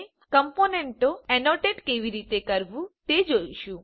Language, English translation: Gujarati, We would now see how to annotate components